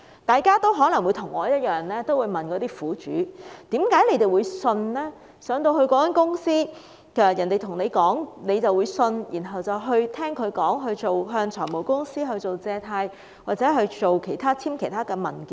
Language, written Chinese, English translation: Cantonese, 大家可能與我一樣，會問苦主為何進入那間公司，人家說甚麼就相信，然後向財務公司借貸或簽署其他文件？, Like me Members may ask why these victims went to the office of the company believed whatever others said and then borrowed money from finance companies or signed documents